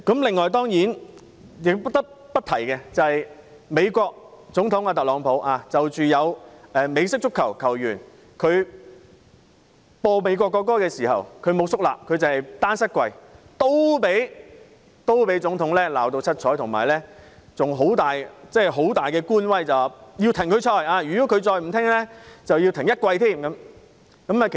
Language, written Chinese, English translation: Cantonese, 此外，主席，我不得不提有美式足球球員在播放美國國歌時，沒有肅立，單膝下跪，同樣被美國總統特朗普嚴厲批評，並大耍官威要求他停賽，如果他再不聽從，便要暫停他一整季賽事。, In fact Chairman I have to refer to the fact that President Donald TRUMP of the United States blasted a football player who refused to stand solemnly and took a knee in protest when the national anthem of the United States was played . He even flexed his bureaucratic muscles by saying that the player should be suspended for one game the first time kneeling and for the entire season after a second offense